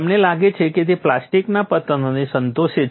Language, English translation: Gujarati, You find it satisfies plastic collapse